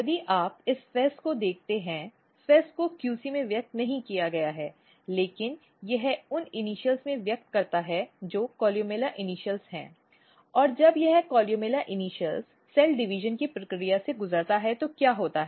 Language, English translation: Hindi, So, if you look this FEZ; FEZ is not expressed in the QC, but it express in the initials which is columella initials and then this expression when this columella initials undergo the process of cell division what happens